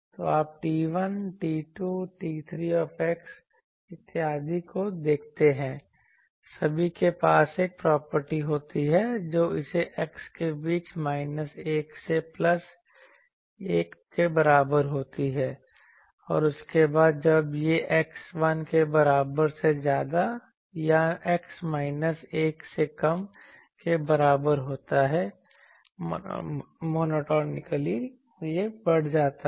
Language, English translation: Hindi, , all have a property that it oscillates between x is equal to minus 1 to plus 1 and the after that when it is more than x is equal to 1 or less than x is equal to minus 1, monotonically it increases